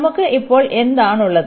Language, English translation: Malayalam, So, what do we have now